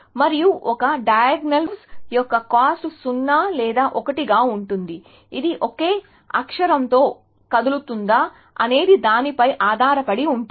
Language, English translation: Telugu, And the cost of a diagonal move is either 0 or 1, depending on whether a moving on a same character